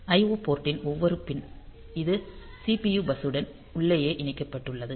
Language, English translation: Tamil, So, each pin of the I O port; so, it is internally connected to the CPU bus